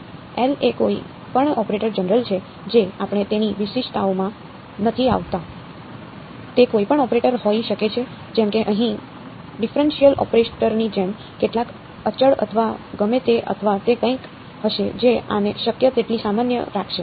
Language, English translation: Gujarati, L is any operator general we are not getting into the specifics of it can be any operator any like a like a differential operator over here plus some constants or whatever or it would be something simply something like this will keep it as general as possible